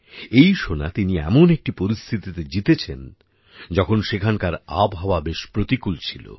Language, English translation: Bengali, He won this gold in conditions when the weather there was also inclement